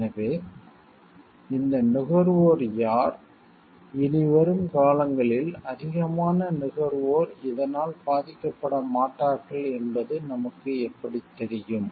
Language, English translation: Tamil, So, the who were these consumers how do we know like more consumers in times to come will not be suffering this